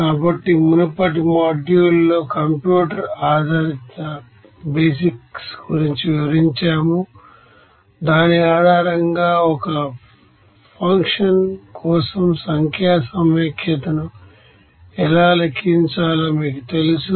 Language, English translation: Telugu, So, you know that in the previous module we have described something about the computer basics based on which how to calculate the numerical integration for a function